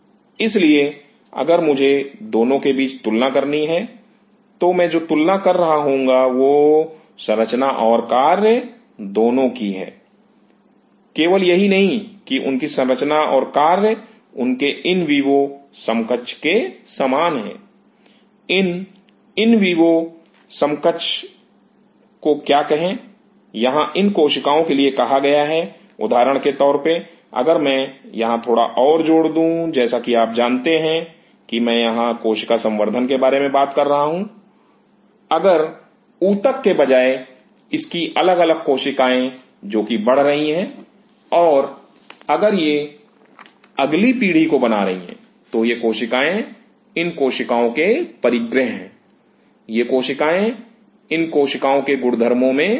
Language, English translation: Hindi, So, if I have to compare between these 2, what I will be comparing is structure and function are they same not only that are their structure function same as their in vivo counterpart, what is the in vivo counterpart, here are these cells say for example, if I just add little bit more here, like you know if I talk about the cell culture here, if these individual cells which are growing instead of the tissue and if these are there next generation forming are these cells properties of these cells, these cells are they equal to the properties of these cells